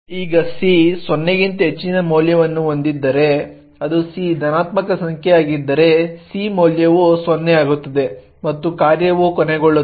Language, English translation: Kannada, Now if c has a value greater than 0 that is if c is a positive number then the value of c becomes 0 and the function would terminate